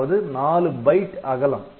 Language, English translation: Tamil, So, it is 4 byte wide